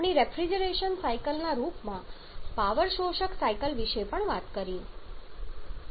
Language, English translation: Gujarati, We have also talked about the power absorbing cycles in the form of recreation cycles